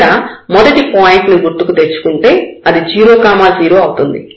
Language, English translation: Telugu, So, the first point remember it was 0 0